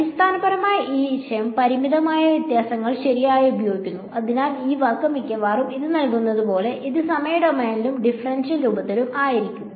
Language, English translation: Malayalam, Basically using this idea finite differences right; so, this as the word almost gives it away, this is going to be in time domain and differential form ok